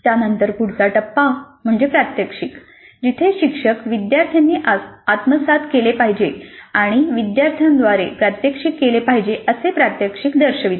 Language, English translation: Marathi, The next phase is demonstration where the instructor demonstrates the competency that is to be acquired and demonstrated by the students